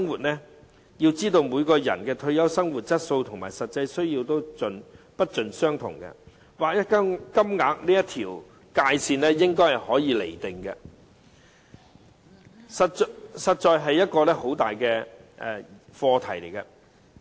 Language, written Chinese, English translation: Cantonese, 我們要知道，每個人的退休生活質素和實際需要都不盡相同，劃一金額這條界線應如何釐定，實在是一個很大的課題。, We have got to know that the living standard and actual needs in everyones retirement life may vary . How the line for the uniform payment should be drawn is indeed a big question